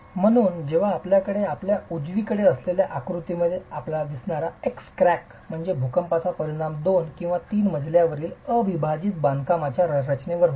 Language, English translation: Marathi, So, when you have that, the X crack that you see in the figure on your right is the effect of an earthquake on a two or three storied unreinforced masonry structure